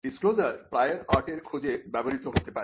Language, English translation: Bengali, Now the disclosure can be used to search the prior art